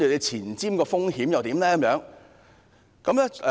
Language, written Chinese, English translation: Cantonese, 前瞻的風險又如何？, What are the risks ahead?